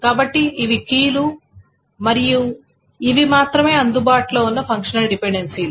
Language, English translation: Telugu, Okay, so let me write down this is the keys and this are the only functional dependencies that are available